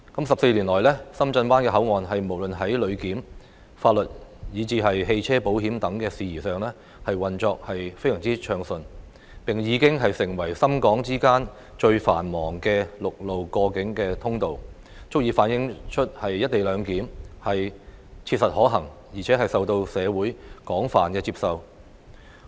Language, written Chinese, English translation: Cantonese, 十四年來，深圳灣口岸無論在旅檢、法律，以至汽車保險等事宜上，運作得非常暢順，並已經成為深港之間最繁忙的陸路過境通道，足以反映出"一地兩檢"切實可行，而且受到社會廣泛接受。, Over the past 14 years SBP has been running like clockwork in terms of passenger clearance legal matters and even motor insurance among others . It has become the busiest land boundary crossing between Shenzhen and Hong Kong fully reflecting the fact that the co - location arrangement is not just practicable but also widely accepted in society